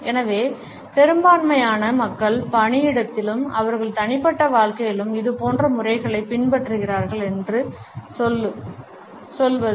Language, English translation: Tamil, So, to say that the majority of the people follow similar patterns at workplace and in their personal lives also